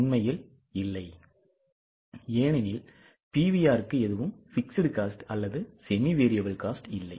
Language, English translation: Tamil, Because PVR has nothing to do with fixed costs or semi variable cost